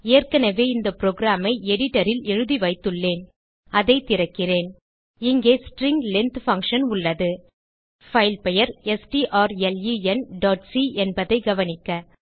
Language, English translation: Tamil, I have already typed the program on the editor, I will open it Here we have the string length function Note that our filename is strlen.c